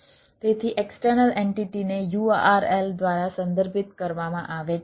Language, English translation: Gujarati, so external entity is referred by a url